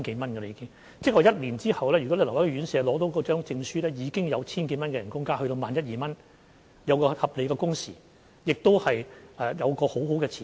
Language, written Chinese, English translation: Cantonese, 換言之，一年後，如果留在院舍工作而獲得證書，已經可加薪千多元至月薪萬一、萬二元，享有合理的工時，亦有良好的前景。, In other words after one year if they continue to work in the care homes and are awarded with certificates they can have a pay rise of over 1,000 to a monthly salary of 11,000 to 12,000 to be accompanied with reasonable working hours and desirable prospects